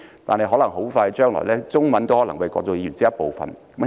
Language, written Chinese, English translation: Cantonese, 但在不久將來，中文都可能會是國際語言的一部分。, However in the near future the Chinese language may also become part of the international language